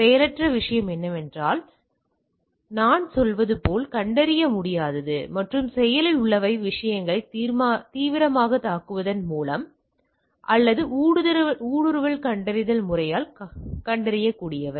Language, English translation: Tamil, Passive thing is that undetectable as I will say and active are by active attack on the things or which can be detectable by the intrusion detection system